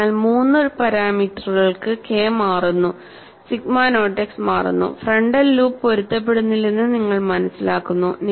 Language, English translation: Malayalam, So, for three parameter k changes, sigma naught x changes and you find the frontal loops are not at all matched